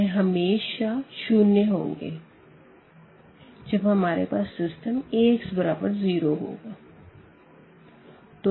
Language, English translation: Hindi, So, they will be definitely 0 when we have Ax is equal to 0